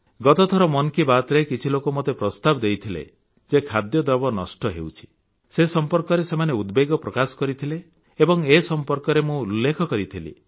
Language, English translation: Odia, In the previous 'Mann Ki Baat', some people had suggested to me that food was being wasted; not only had I expressed my concern but mentioned it too